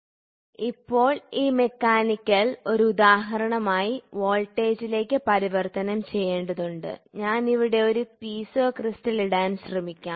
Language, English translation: Malayalam, So, now this mechanical has to get converted into voltage just as an example, we can try to I put a Piezo crystal here